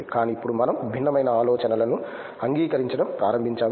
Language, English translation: Telugu, But now we start to accept different ideas and different thoughts